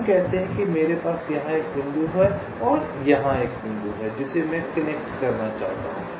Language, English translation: Hindi, lets say i have a point here and i have a point here which i want to connect